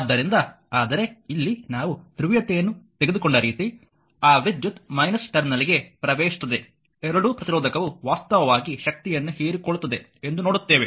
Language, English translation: Kannada, So, but here the wave we have taken the polarity , that current entering into the minus terminal later we will see, that both are resistor actually observe power , right